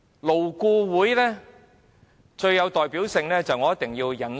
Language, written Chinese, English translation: Cantonese, 勞顧會最有代表性的事件，我一定要引述。, In response I must cite the most representative act of LAB